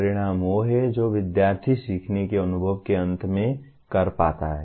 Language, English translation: Hindi, An outcome is what the student is able to do at the end of a learning experience